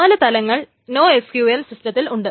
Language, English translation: Malayalam, But there are four main types of NOSQL systems